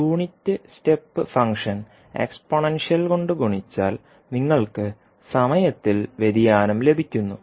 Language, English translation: Malayalam, The unit step function multiplied by the exponential means you are getting the time shift